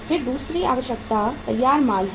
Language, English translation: Hindi, Then second requirement is the uh finished goods